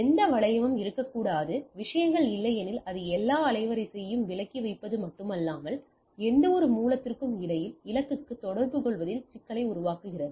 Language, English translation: Tamil, There should not be any loop into the things otherwise it will it not only it away all the bandwidth, it also creates a problem of communicating between any source to destination